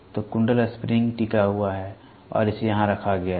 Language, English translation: Hindi, So, the coil spring hinged and they placed it here